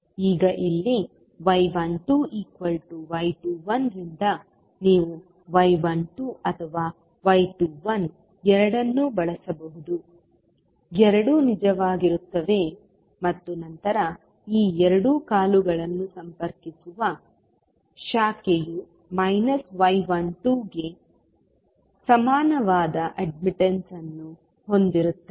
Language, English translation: Kannada, Now, here since y 12 is equal to y 21 so you can use either y 12 or y 21 both are, both will hold true and then the branch which is connecting these two legs will have the admittance equal to minus of y 12